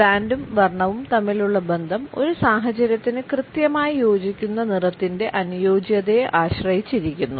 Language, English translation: Malayalam, The relationship between brand and color hinges on the perceived appropriateness of the color being an exact fit for this situation